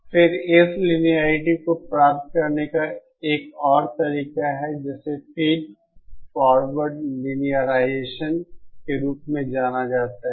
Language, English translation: Hindi, Then yet another method of achieving this linearity is what is known as Feed Forward Linearisation